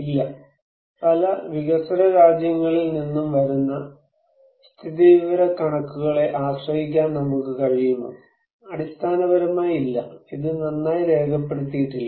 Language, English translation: Malayalam, No, can we really depend on the statistics that we are coming from many developing countries; basically, no, it is not well documented